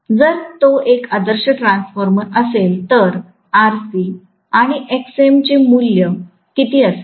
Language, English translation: Marathi, Had it been an ideal transformer, what would be the value of RC and Xm